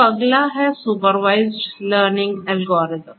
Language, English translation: Hindi, So, next comes the supervised learning algorithm